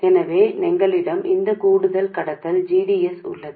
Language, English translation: Tamil, So, we have this additional conductance GDS